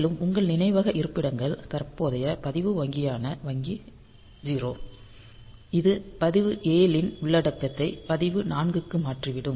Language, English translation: Tamil, And assuming that your memory locations are current register bank is register is the bank 0; then this will be transferring the content of register 7 to register 4